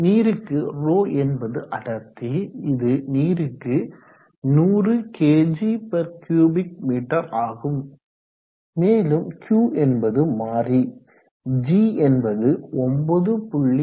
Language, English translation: Tamil, is the density for water which is 100kg/cubic m so let us put that down Q is a variable g is 9